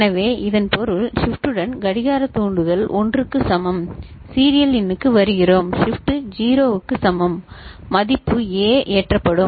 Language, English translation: Tamil, So, that means, with clock trigger with Shift is equal to 1, serial in we come here and Shift is equal to 0 the value A will get loaded